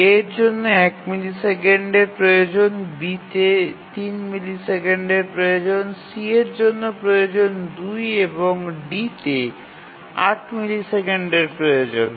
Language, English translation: Bengali, So, A requires 1 millisecond, B requires 3 millisecond, C requires 2 and D requires 8 millisecond